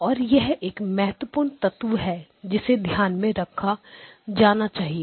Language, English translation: Hindi, And this is a important element to keep in mind